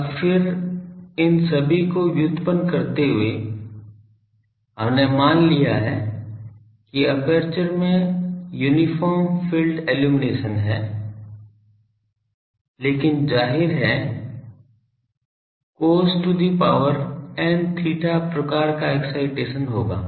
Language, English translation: Hindi, Now, then while deriving all these we have assumed that uniform field illumination in the aperture but obviously, with the cos to the power n theta type of excitation there will be taper